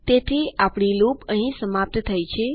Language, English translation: Gujarati, So, our loop here has stopped